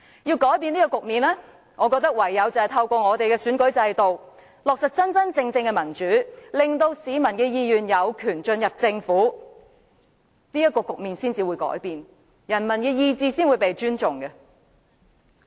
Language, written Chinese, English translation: Cantonese, 要改變這個局面，我覺得唯有透過選舉制度落實真正的民主，令市民的意願有權進入政府，才能改變這個局面，人民的意願才會被尊重。, I believe the only way to change this situation is implementing genuine democracy through the electoral system so that the will of the people can be carried into the Government . Only by doing so can we change this situation and enable respect for the will of the people